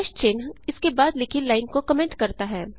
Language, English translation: Hindi, # sign comments a line written after it